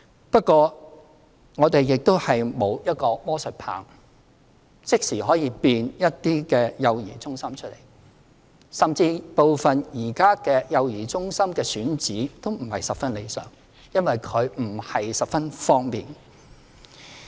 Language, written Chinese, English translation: Cantonese, 不過，我們沒有魔術棒，即時可以變出一些幼兒中心，甚至部分現有幼兒中心的選址亦不是很理想，因為地點不是十分方便。, However we do not have a magic wand to conjure up some child care centres immediately . The locations of certain child care centres are also undesirable as they are not easily accessible